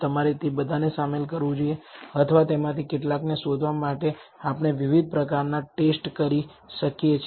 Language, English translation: Gujarati, Whether you should include all of them or only some of them we can do different kinds of test to find that